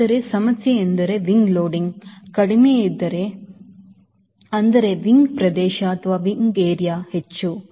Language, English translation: Kannada, but the problem is, if wing loading is lower, that means wind area is higher